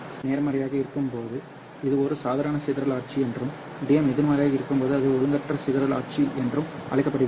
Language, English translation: Tamil, When DM is positive this is called as a normal dispersion regime and when DM is negative it is called as the anomalous dispersion regime